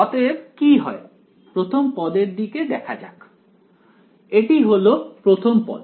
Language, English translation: Bengali, So, what happens let us look at the first term this is the first term